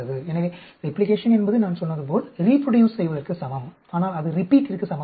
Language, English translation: Tamil, So, replication is same as reproduce like I said, but it is not same as repeat